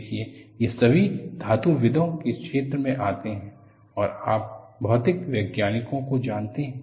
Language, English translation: Hindi, See, all these, in the domain of metallurgist, you know material scientist